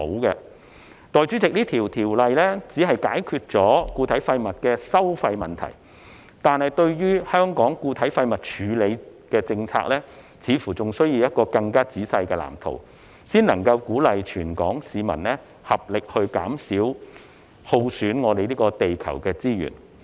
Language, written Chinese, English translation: Cantonese, 代理主席，這項條例只是解決固體廢物的收費問題，但對於香港的固體廢物處理政策，似乎仍需要一個更仔細的藍圖，才能鼓勵全港市民合力減少耗損地球資源。, Deputy President this ordinance will only address the issue related to solid waste charging but it appears that a more detailed blueprint on Hong Kongs policy in respect of solid waste management is still needed with a view to encouraging all Hong Kong people to make concerted efforts in consuming less of the earths resources